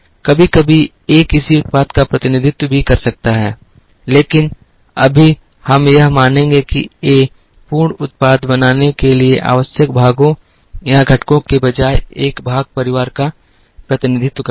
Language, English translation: Hindi, Sometimes A can also represent a product, but right now we will assume that A represents a part family, instead of parts or components that are required to make the full product